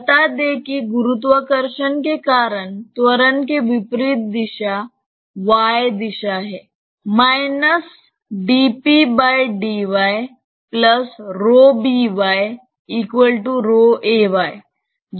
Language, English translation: Hindi, Let us say that the y direction is the direction opposite to the acceleration due to gravity